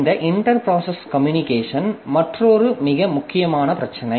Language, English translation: Tamil, So, this inter process communication is another very important issue